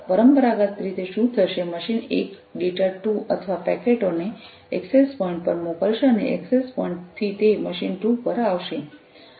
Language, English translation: Gujarati, Traditionally what would happen is, the machine one would send the data 2 or the packets to the access point and from the access point it is going to come to the machine 2